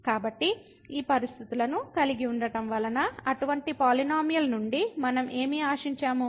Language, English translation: Telugu, So, having these conditions what do we expect from such a polynomial